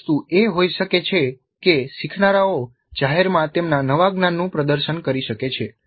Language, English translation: Gujarati, One of the things can be that learners can publicly demonstrate their new knowledge